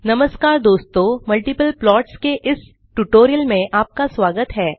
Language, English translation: Hindi, Hello friends and Welcome to this spoken tutorial on Multiple plots